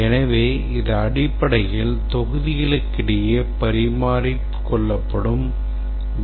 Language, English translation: Tamil, So, this is basically the data items that are exchanged between the modules